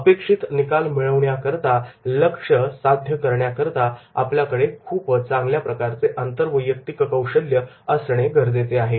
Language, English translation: Marathi, To deliver the results to achieve the targets, we are supposed to have a very good interpersonal skills